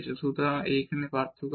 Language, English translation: Bengali, So, this difference again